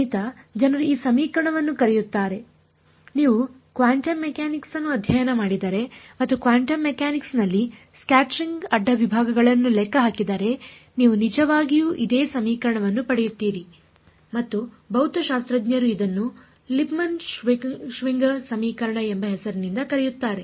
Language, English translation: Kannada, This is what the math people call this equation if you study quantum mechanics and calculate scattering cross sections in quantum mechanics you get actually the exact same equation and the physicists the physics people call it by the name Lipmann Schwinger equation